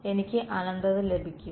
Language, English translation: Malayalam, I will get infinity